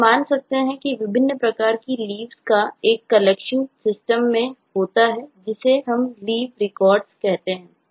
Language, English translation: Hindi, so we can conceive of a collection of leaves that exist in the system and we say this is a leave record